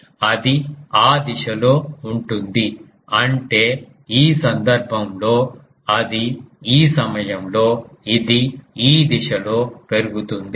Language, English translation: Telugu, So, it will be in that direction; that means, in this case it will be in this point